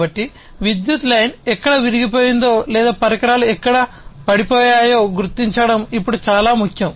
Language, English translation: Telugu, So, it is now important to locate the point where the power line is broken or where the equipment you know has gone down